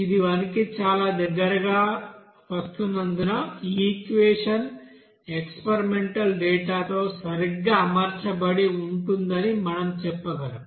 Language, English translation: Telugu, Since it is coming very near about to 1 we can say that this equation will be you know fitted exactly with that experimental data